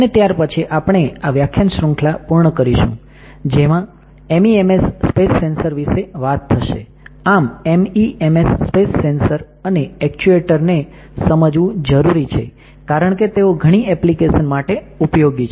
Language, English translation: Gujarati, And finally, we will conclude this particular lecture series saying that how MEMS space sensors, understanding of MEMS space sensors and actuators can be useful for several applications